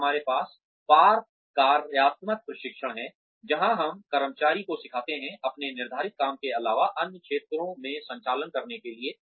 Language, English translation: Hindi, Then, we have cross functional training, where we teach employees, to perform operations in areas, other than their assigned job